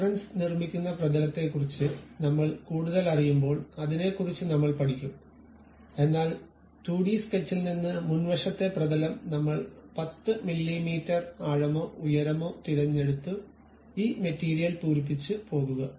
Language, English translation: Malayalam, When we are learning more about planes of reference constructing that we will learn about that, but from the 2D sketch whatever the plane the front plane we have chosen 10 mm depth or perhaps height we would like to really go by filling this material